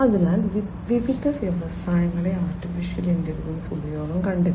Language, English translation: Malayalam, So, AI has found use in different industries